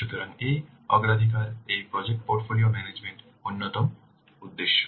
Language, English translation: Bengali, So these are the important concerns of project portfolio management